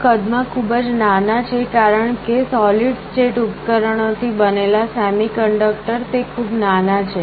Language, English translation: Gujarati, These are much smaller in size because the semiconductor made of solid state devices, they are very small